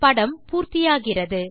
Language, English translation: Tamil, to complete the figure